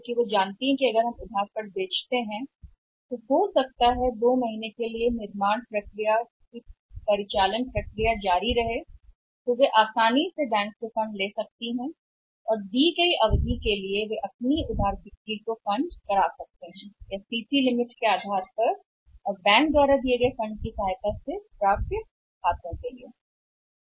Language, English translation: Hindi, Because they know it that if they are we are selling on the credit maybe for a period of 2 months then for continue with the operating process for the manufacturing process they can easily have the funds from the bank and for a given period of time they can fund their credit sales or maybe the accounts receivables with the help of the funds provided by the banks and that to on the CC limit basis